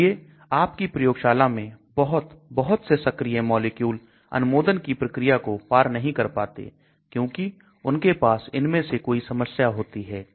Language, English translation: Hindi, So many, many active molecules in your lab do not cross the approval because they have one of these problems